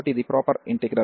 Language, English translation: Telugu, So, this is the integral